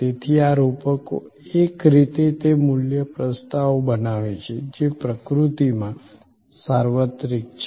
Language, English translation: Gujarati, So, these metaphors in a way it create value propositions, which are universal in nature